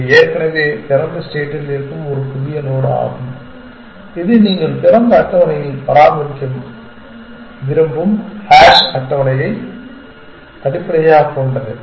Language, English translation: Tamil, That is a new node already present in open, which is based on by a hash table you also want to maintain open